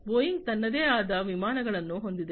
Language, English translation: Kannada, Boeing has its own aircrafts